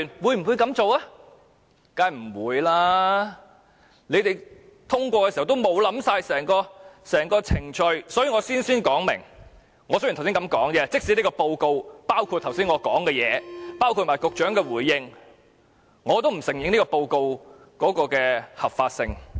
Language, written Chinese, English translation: Cantonese, 他們通過修改《議事規則》時並無考慮整個程序，所以我事先聲明，即使這份報告包括我剛才的發言，也包括局長的回應，我也不承認這份報告的合法性。, They had not given any consideration to the whole procedure when they passed the amendments to RoP . I have to state at the outset that even if this report covers my speech and the Secretarys reply I will not acknowledge its legitimacy